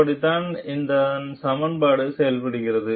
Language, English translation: Tamil, That is how that equation is done